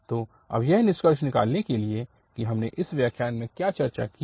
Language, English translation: Hindi, And now to conclude, that what we have discussed in this lecture